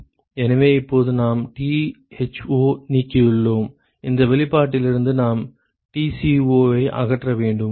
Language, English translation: Tamil, So, now so we have eliminated Tho, from this expression we need to eliminate Tco